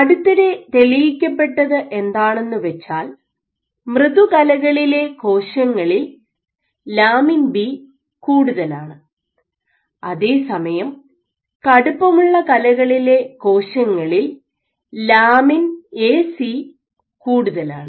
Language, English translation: Malayalam, So, what has been recently demonstrated is that cells which reside in soft tissues, contain more of lamin B, while cells which reside in stiff tissues they contain more of lamin A/C